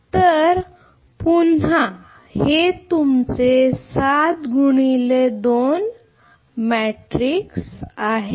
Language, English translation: Marathi, So, this is say your 7 into 2 again